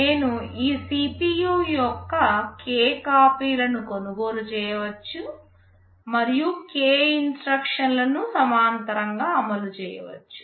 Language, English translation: Telugu, I can buy k copies of this CPU, and run k instructions in parallel